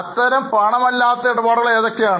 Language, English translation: Malayalam, What are such non cash transactions